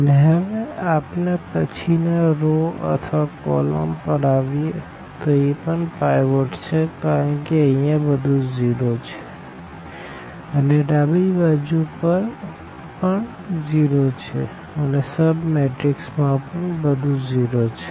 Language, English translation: Gujarati, And, now, here when we come to the next row or next column this number is again pivot because everything here to zero and left to also zero and also in this sub matrix everything is zero